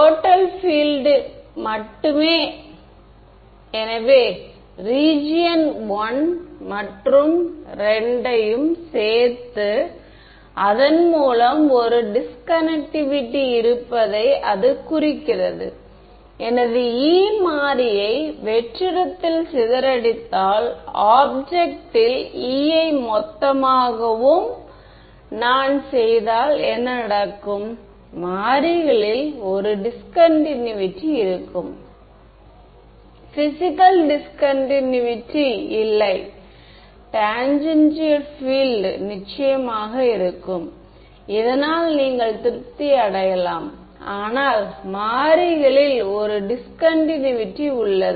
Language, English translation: Tamil, Only total field; so, I and II together imply that there is a discontinuity that will happen if I make my variable to be E scattered in vacuum and E total in the object, there is there will be a discontinuity of the variables, there is no physical discontinuity the tangential field will be of course, be satisfied, but there is a discontinuity in the variables